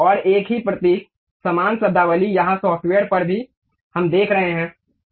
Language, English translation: Hindi, And the same symbol same terminology here on software also we are seeing